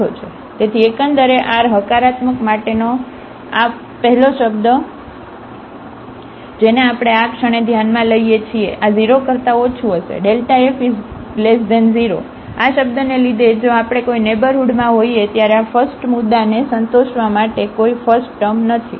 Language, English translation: Gujarati, So, the overall, this first term for r positive, which we are considering at this moment, this will be less than 0 delta f will be less than 0 because of this term, there is no first term if we are in the neighborhood which satisfies all these points